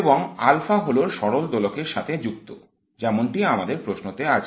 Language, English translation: Bengali, And alpha is specific to the harmonic oscillator that we have in question